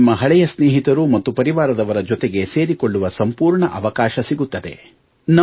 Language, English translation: Kannada, You will also get an opportunity to connect with your old friends and with your family